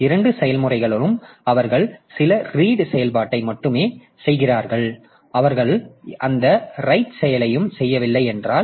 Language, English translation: Tamil, So, if both the processes they are only doing some read operation, they are not doing any right operation, then naturally we don't have to do anything